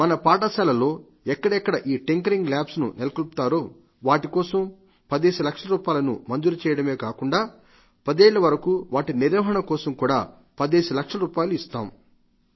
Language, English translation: Telugu, Wherever such Tinkering Labs are established in schools, those would be given 10 Lakh rupees and further 10 Lakh rupees will be provided for maintenance during the period of five years